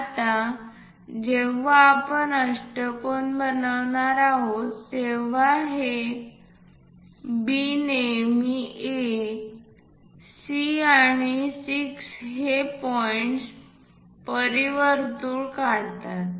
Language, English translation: Marathi, Now, when we are going to construct an octagon it is always B circumscribing A, C and 6 point